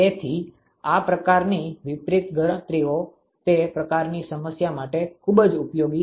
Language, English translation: Gujarati, So, these kinds of reverse calculations are very very useful for that kind of problem